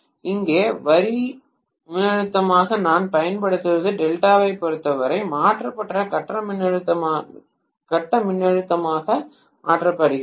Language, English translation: Tamil, So what I apply as the line voltage which is actually here is converted into transformed phase voltage as far as delta is concerned